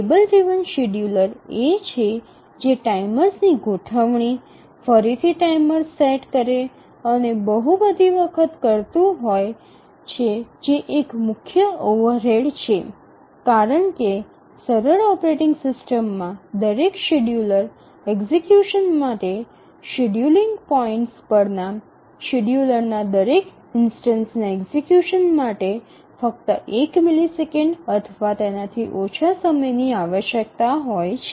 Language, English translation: Gujarati, The table driven scheduler is that requires setting up timers, one shot timers, and number of times and this is a major overhead because we are talking of simple operating system requiring only one millisecond or less for each scheduler execution, each instance of execution of scheduler at the scheduling points